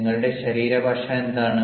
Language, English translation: Malayalam, now, what is your body language